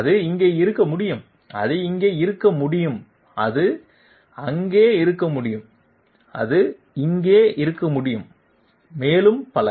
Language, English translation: Tamil, It can be here, it can be here sorry it can be here, it can be there, it can be here, so many